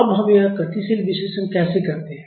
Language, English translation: Hindi, Now, how do we do this dynamic analysis